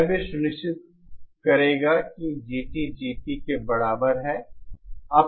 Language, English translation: Hindi, This will also ensure that GT is equal to GP